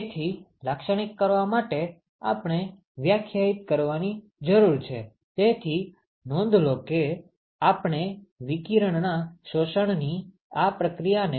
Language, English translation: Gujarati, So, in order to characterize we need to define, so note that we want to characterize this process of absorption of radiation